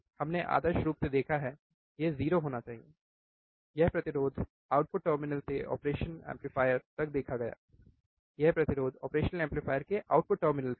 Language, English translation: Hindi, We have seen ideally it should be 0, resistance viewed from the output terminal to the operation amplifier; that is resistance from the output terminal of the operational amplifier